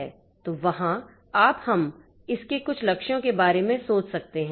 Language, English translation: Hindi, So, there are, you can think about a few goals of it